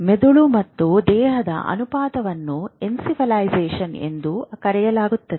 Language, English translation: Kannada, Ratio of brain and body we have talked about encephalization